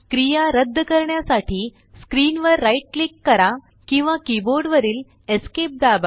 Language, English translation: Marathi, Right click on screen or Press Esc on the keyboard to cancel the action